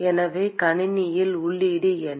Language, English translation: Tamil, So, what is the input to the system